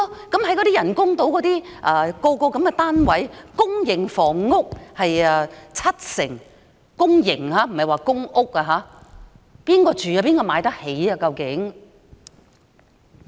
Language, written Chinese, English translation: Cantonese, 公營房屋佔人工島上房屋單位的七成——是公營房屋，不是公屋——究竟會讓誰居住、哪些人才買得起呢？, For the flats on the artificial islands it is said that public housing will account for 70 % of the housing units . These are public housing and public rental housing . Accordingly who will live there and who can afford them?